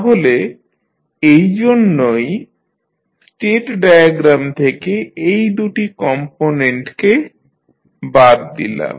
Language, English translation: Bengali, So, that is why we remove these two components from our state diagram